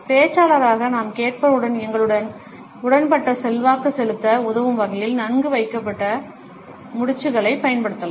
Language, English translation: Tamil, And as the speaker we can use well placed nods to help influence the listeners to agree with us